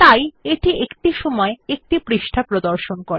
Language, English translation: Bengali, Thereby, it displays one page at a time